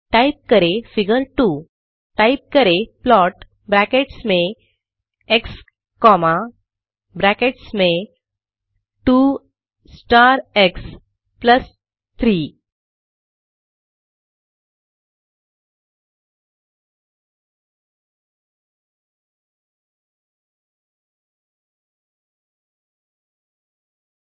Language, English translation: Hindi, Then type plot within brackets x comma within brackets 2 star x plus 3